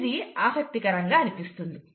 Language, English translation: Telugu, So, that's interesting